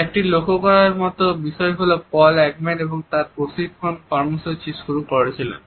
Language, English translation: Bengali, It is interesting to note that Paul Ekman had also started his training programmes